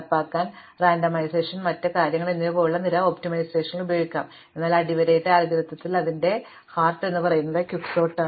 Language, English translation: Malayalam, Of course, this implementation may use various optimizations such as randomization and other things to make it faster, but at the underlying algorithm the heart of it is usually Quicksort